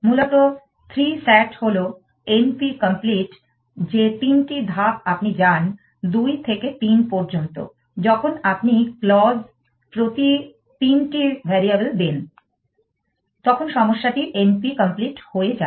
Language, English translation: Bengali, Essentially, 3 sat is m p complete the 3 movement you go from 2 to 3 that you allow 3 variables per clause, then the problem becomes m p complete essentially